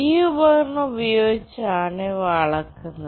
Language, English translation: Malayalam, These are measured using this device